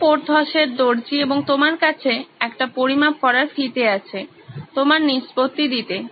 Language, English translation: Bengali, You are Porthos’s tailor and you have a measuring tape at your disposal